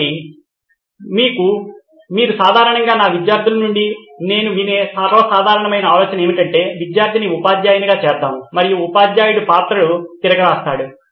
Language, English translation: Telugu, So the most common idea that normally I hear from my students is let’s make the student a teacher and the teacher reverses the role